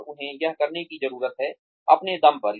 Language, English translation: Hindi, And, they need to do this, on their own